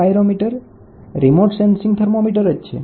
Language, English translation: Gujarati, So, the pyrometer is remote sensing thermometer